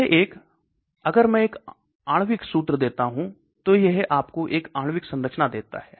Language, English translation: Hindi, This one, if I give a molecular formula it gives you a molecular structure